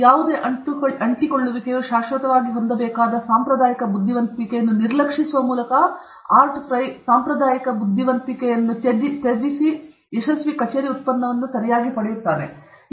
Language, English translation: Kannada, By ignoring conventional wisdom that any adhesive has to permanently set, Art Fry deviated from conventional wisdom and got a successful office product okay